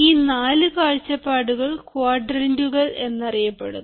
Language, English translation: Malayalam, the four perspectives, which are called quadrants